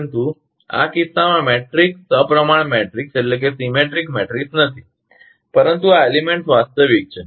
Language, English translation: Gujarati, But in this case, matrix is not symmetric matrix, but these elements are real